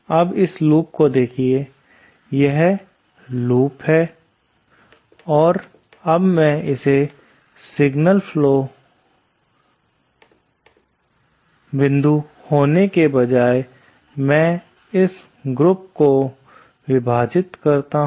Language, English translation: Hindi, Now look at this loop that is there, this is the loop and what I do is instead of having a single point A2, let me split this loop